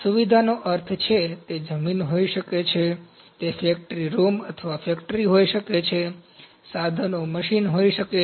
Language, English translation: Gujarati, Facility means, it can be land, it can be factory room or a factory, so this is facility calculate equipment can be the machines ok